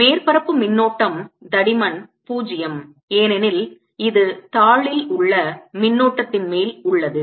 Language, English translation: Tamil, surface current is of thickness zero because this is on a sheet of current